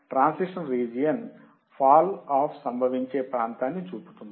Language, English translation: Telugu, Transition region shows the area where the fall off occurs